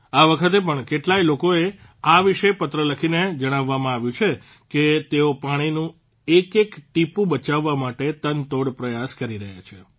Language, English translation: Gujarati, This time too I have come to know through letters about many people who are trying their very best to save every drop of water